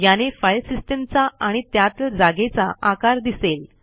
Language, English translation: Marathi, Here it shows the size of the Filesystem, and the space is used